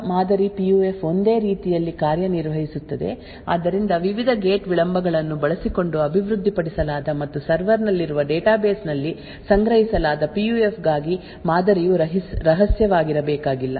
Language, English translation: Kannada, So, this public model PUF works in a very similar way, so except for the fact that the model for the PUF which is developed using the various gate delays and stored in the database present in the server does not have to be secret